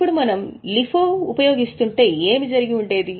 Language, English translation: Telugu, Now if we would have been using LIFO, what would have happened